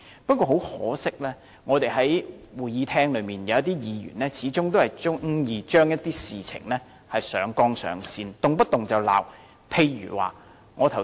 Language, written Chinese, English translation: Cantonese, 不過，很可惜，在我們的會議廳內，有些議員始終喜愛把事情上綱上線，動輒謾罵。, Yet regrettably some Members in this Chamber of ours always like to elevate every question to the political plane and slam everything at every turn